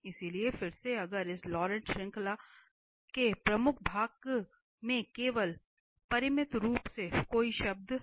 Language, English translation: Hindi, So, again if the principal part of this Laurent series has only finitely many term